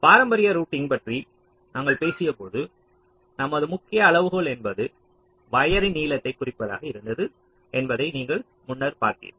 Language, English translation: Tamil, now, you see, earlier, when we talked about the traditional routing, there, our main criteria was to minimize the wire length